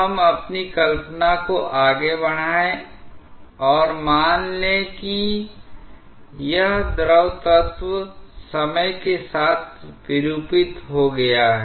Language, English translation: Hindi, Now, let us stretch our imagination and assume that this fluid element has got deformed with time